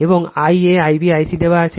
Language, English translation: Bengali, And I a, I b, I c are given